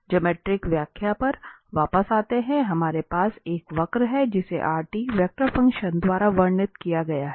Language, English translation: Hindi, Coming back to the geometric interpretation, so we have a curve which is described by this vector function rt